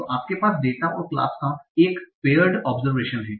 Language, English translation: Hindi, So you have a paired observation of a data and a class